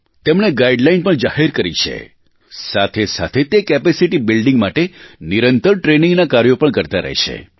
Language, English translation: Gujarati, They have issued guidelines; simultaneously they keep imparting training on a regular basis for capacity building